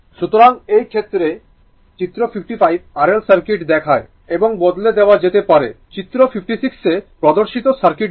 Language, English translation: Bengali, So, in this case that figure 55 shows R L circuit and may be replaced by the circuit shown in figure 56